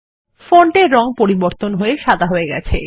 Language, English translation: Bengali, The font color changes to white